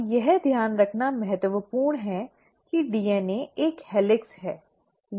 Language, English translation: Hindi, Now it is important to note that DNA is a helix